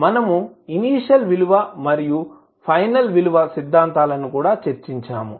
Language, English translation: Telugu, We also discussed initial value and final value theorems